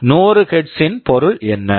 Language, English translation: Tamil, What is the meaning of 100 Hz